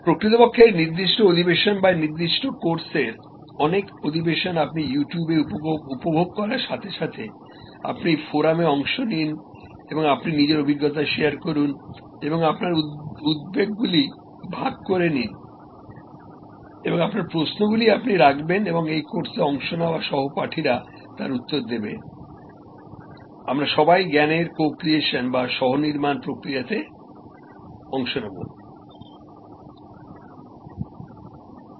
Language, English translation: Bengali, In fact, in this particular session or many of the session of this particular course as you enjoy it on YouTube and you participate in the forum and you share your experiences and you share your concerns and you put forward your questions and answers are given by your colleagues participating in this course, we are in the process of co creation of knowledge